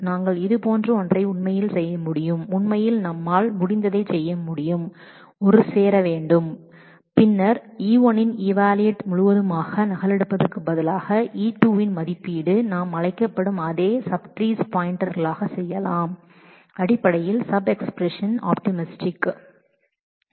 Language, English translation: Tamil, We could actually do something like sorry we could actually do something like we could have a join and then instead of really replicating the whole of the evaluation of E1 and evaluation of E2, we can simply make pointers to the same sub trees which are called basically sub expression optimization